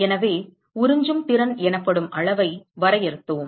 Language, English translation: Tamil, So, we defined a quantity called absorptivity